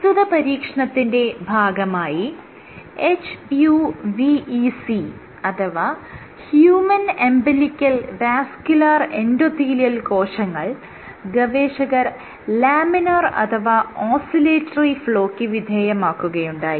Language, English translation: Malayalam, What they found was they used HUVEC cells, this is human umbilical vascular endothelial cells and then they subjected to Laminar or Oscillatory flow